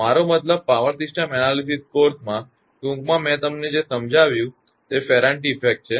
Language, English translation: Gujarati, I mean in power system analysis course, in brief I have just told you that what is Ferranti effect